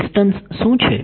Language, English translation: Gujarati, So, what is the distance